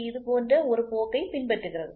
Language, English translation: Tamil, Generally it follows a trend like this